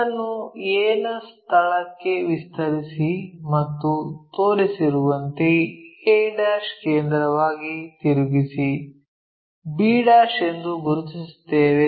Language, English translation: Kannada, Extend it up to the locus of a and rotating a' as center locate b' as shown